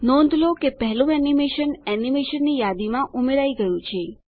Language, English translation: Gujarati, Notice, that the first animation has been added to the list of animation